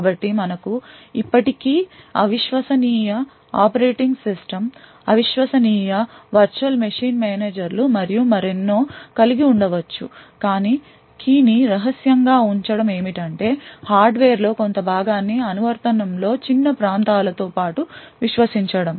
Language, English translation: Telugu, So, you could still have an untrusted operating system, untrusted virtual machine managers and so on but what is required keep the key secret is just that the hardware a portion of the hardware is trusted along with small areas of the application